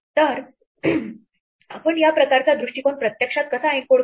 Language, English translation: Marathi, So, how would we actually encode this kind of an approach